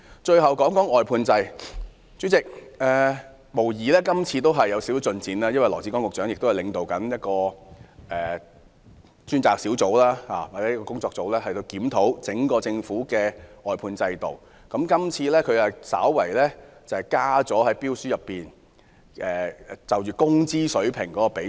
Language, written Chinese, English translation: Cantonese, 代理主席，這次的施政報告無疑是有點進展，因為羅致光局長領導一個跨部門工作小組，檢討整個政府的外判制度，這次他在標書納入工資水平的比重。, Deputy President this Policy Address has undoubtedly made a bit of progress . Secretary Dr LAW Chi - kwong leads an inter - departmental working group to review the outsourcing system of the entire Government . This time he has included the weighting of wage level in the tender documents